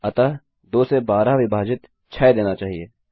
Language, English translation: Hindi, So, 12 divided by 2 should give 6